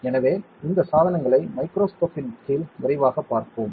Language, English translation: Tamil, So, we will quickly see these devices under the microscope